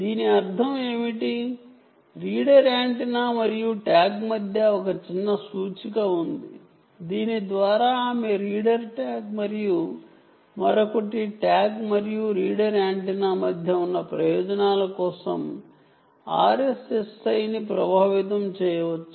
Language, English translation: Telugu, it simply means that, ranging between the reader antenna and a tag, there is a small indicator by which she can, one can leverage r s s i for the purposes of ranging between the reader tag and the other, the tag and the reader antenna